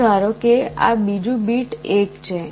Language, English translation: Gujarati, Next let us assume that this second bit is 1